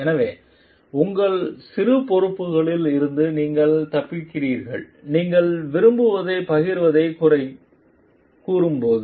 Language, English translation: Tamil, So, that you are escaping some of your responsibilities and when it comes to blame sharing you like